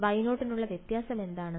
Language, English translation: Malayalam, For Y 0 what is the only difference